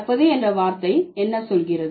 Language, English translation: Tamil, What is the word blending, what does it tell you